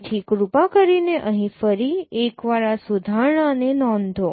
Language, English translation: Gujarati, So please note this correction once again here also